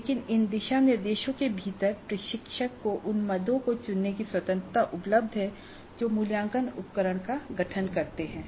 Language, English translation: Hindi, But within these guidelines certain freedom certainly is available to the instructor to choose the items which constitute the assessment instrument